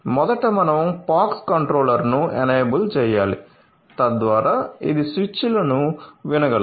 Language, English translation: Telugu, So, first we have to enable the POX controller so, that it can listen to the switches